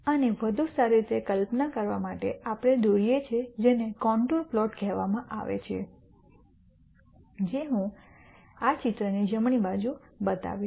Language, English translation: Gujarati, To better visualize this we draw what are called contour plots which I show on the right hand side of this picture